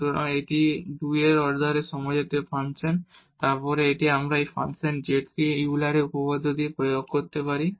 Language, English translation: Bengali, So, this is a homogeneous function of order 2 and then we can apply the Euler’s theorem on this function z